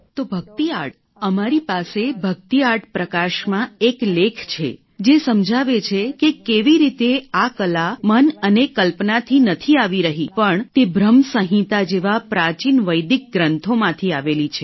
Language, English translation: Gujarati, So, bhakti art we have one article in the bhakti art illuminations which explains how this art is not coming from the mind or imagination but it is from the ancient Vedic scriptures like Bhram Sanhita